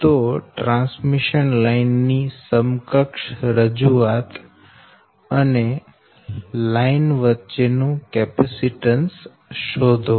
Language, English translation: Gujarati, find the equivalent representation of the line and capacitance between the line